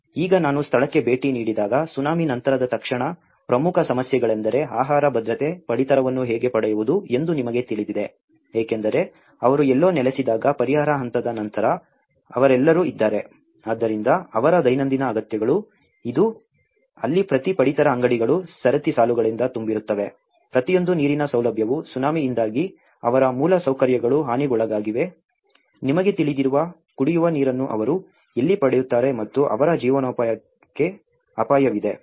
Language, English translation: Kannada, So, now immediately after the post Tsunami when I visited the place, the important issues are the food security, you know how to get their rations because they are all after the relief stage when they settle somewhere, so their daily needs, this is where every ration shop is full of queues, every water facility because their infrastructure has been damaged because of the Tsunami, where do they get the drinking water you know and their livelihood is in threat